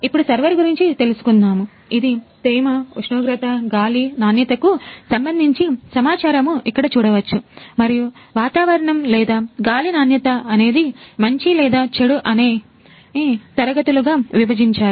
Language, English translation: Telugu, Now coming to the server, you can see here it is showing the data humidity, temperature, air quality and there is classes of the weather and air quality whether it is good or bad